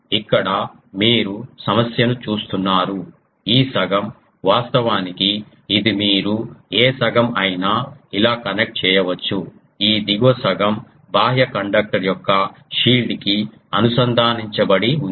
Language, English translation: Telugu, Here you see the problem is that this lower half this half, actually this you can do ah any half you can connect like this; this lower half it is connected to the shield of the outer conductor